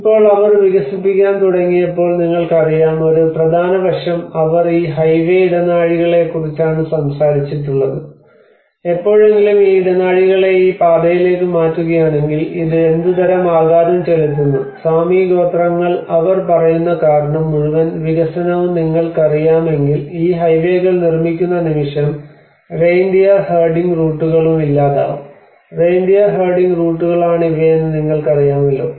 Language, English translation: Malayalam, Now when they started developing you know one of the important aspects is they talked about these highway corridors if you ever happen to make these corridors onto this line then what kind of impact because the Sami tribes they says that you know the moment you are making these highways and the whole development it is going to take the reindeer herding routes you know these are the what you can see is reindeer herding routes